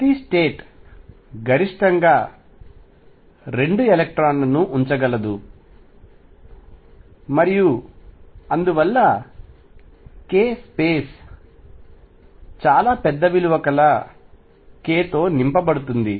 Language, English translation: Telugu, Each state can maximum accommodate 2 electrons and therefore, the k space is going to be filled up to somewhere in very large value of k